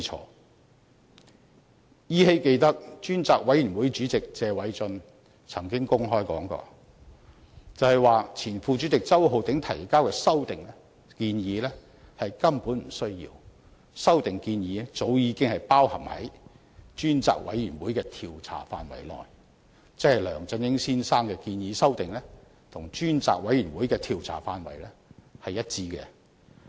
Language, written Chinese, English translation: Cantonese, 我依稀記得，專責委員會主席謝偉俊議員曾經公開說過，指前副主席周浩鼎議員提交的修訂建議根本不需要，因為修訂建議早已包含在專責委員會的調查範圍內，即梁振英先生的修訂建議其實是與專責委員會的調查範圍一致。, I faintly recall that Mr Paul TSE Chairman of the Select Committee once said openly that it was not necessary for Mr Holden CHOW the former Deputy Chairman to submit the proposed amendment because such amendments had already been incorporated into the scope of inquiry of the Select Committee . In other words the amendments proposed by Mr LEUNG Chun - ying are actually consistent with the scope of inquiry of the Select Committee